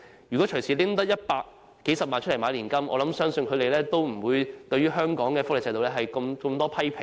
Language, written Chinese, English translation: Cantonese, 如果隨時可以動用100萬元購買年金，我相信他們也不會對香港的福利制度有這麼多批評。, If they could fish out 1 million for the procurement of annuity I thought they would not have so many criticisms against the welfare system in Hong Kong